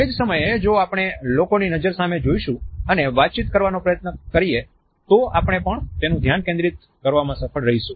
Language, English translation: Gujarati, At the same time if we look into the eyes of the people and try to hold a dialogue, then we are also able to hold their attention